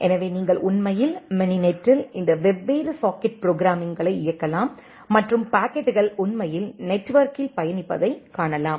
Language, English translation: Tamil, So, you can actually in mininet you can run all these different socket programming and see that the packets are actually traversing in the network